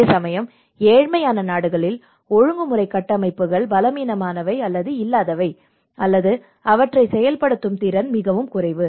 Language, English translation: Tamil, Here in poorer countries, the regulatory frameworks are weak or absent, or the capacity to enforce them is lacking